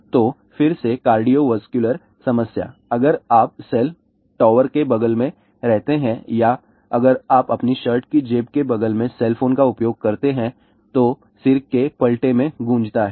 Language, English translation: Hindi, So, cardiovascular problem again, more prominent if you live next to the cell tower or if you use the cell phone next to your shirt pocket , buzzing in the head altered reflexes